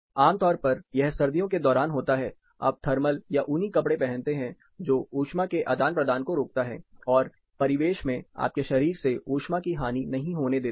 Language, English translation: Hindi, This is typically what happens during winter you have a thermal wear, you have a woolen which prevents heat exchange from rather heat loss from the body to the ambient